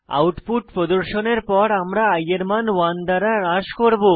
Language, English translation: Bengali, After the output is displayed, we decrement the value of i by 1